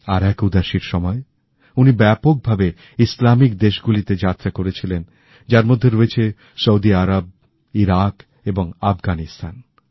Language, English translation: Bengali, During one Udaasi, he widely travelled to Islamic countries including Saudi Arabia, Iraq and Afghanistan